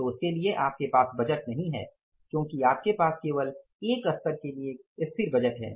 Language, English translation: Hindi, So, for that you don't have the budgets because you have only static budget for one level